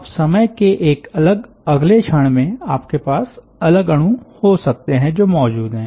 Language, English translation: Hindi, now, at a different instant of time, you may have different entities, different molecules which are present